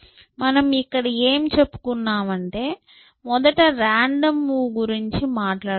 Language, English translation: Telugu, So, what I was saying here, that first of all I am talking about a random move